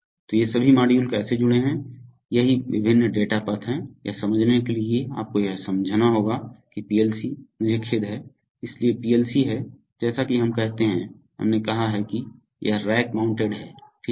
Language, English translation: Hindi, So all these modules how they are connected, that is what are the various data paths, to understand this you have to understand that the PLC, I am sorry, this, so the PLC is, as we say, we have said that is, that it is rack mounted right